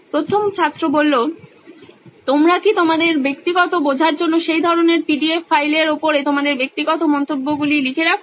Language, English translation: Bengali, Do you also kind of comments or write your personal notes on top of that PDF like for your personal understanding